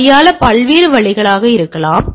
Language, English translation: Tamil, It may there are different way of handling this